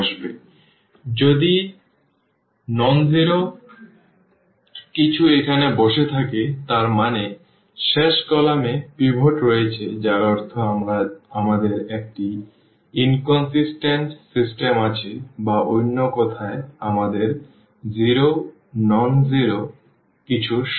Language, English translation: Bengali, And, if something nonzero is sitting here; that means, the last column has pivot last column has a pivot meaning that we have an inconsistent system and or in other words we have 0 is equal to something nonzero